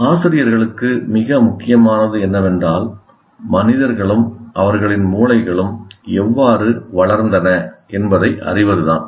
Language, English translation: Tamil, So what is more important is for teachers to know how humans and their brains develop